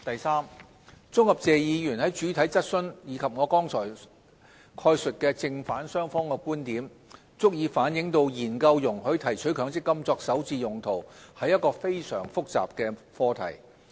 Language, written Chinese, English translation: Cantonese, 三綜合謝議員在主體質詢及我剛才概述正反雙方的觀點，足以反映研究容許提取強積金作首置用途，是一個非常複雜的課題。, 3 As demonstrated by the pros and cons presented in Mr TSEs main question and my reply just now the study on whether the withdrawal of MPF benefits should be allowed for first home purchase is a very complex subject